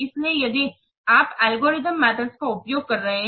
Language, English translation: Hindi, Now let's see what are the advantages of algorithm methods